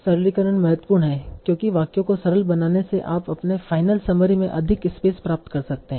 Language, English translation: Hindi, So simplification is important because by simplifying sentences, you can get more space into your final summary